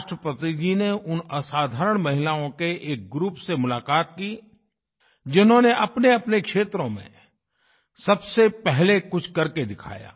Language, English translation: Hindi, He met a group of extraordinary women who have achieved something significanty new in their respective fields